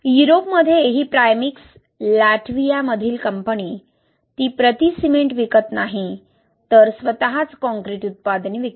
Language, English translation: Marathi, In Europe see that this Primekss, a company based in Latvia, it does not sell cement per se but itself concrete products